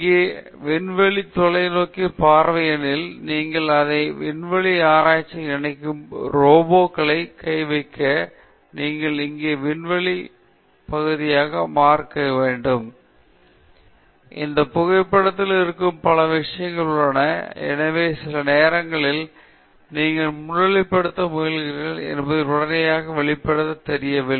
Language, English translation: Tamil, And that’s because you see this space telescope here, you see the robotic arm that connects it to the space shuttle, you see part of the space shuttle here, you see a little bit of earth here, you see the sky there and you also see the two solar panels; so there are many things that are there in this photograph and so sometimes it’s not immediately apparent what you are trying to highlight